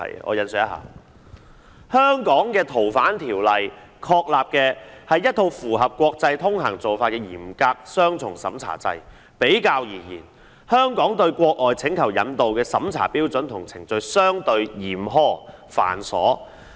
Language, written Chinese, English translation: Cantonese, 我引述一下："香港的《逃犯條例》確立的是一套符合國際通行做法的嚴格雙重審查制......比較而言，香港對外國請求引渡的審查標準和程序相對嚴苛、繁瑣......, I quote The mechanism established under the Fugitive Offenders Ordinance of Hong Kong is a stringent double - examination mechanism in line with international practices comparatively speaking the standards and procedures that Hong Kong has adopted for examining extradition requests from overseas countries are relatively stringent and cumbersome while the extradition agreements signed between the Mainland and overseas countries tend to adopt the zero - evidence standard